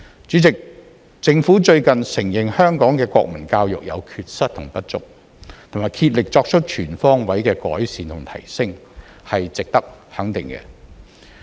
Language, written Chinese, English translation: Cantonese, 主席，政府最近承認香港的國民教育有缺失和不足，並竭力作出全方位的改善和提升，是值得肯定的。, President it is worthy of recognition that the Government has recently admitted the deficiencies and shortcomings in Hong Kongs national education and made an all - out effort to bring all - round improvements and enhancements to it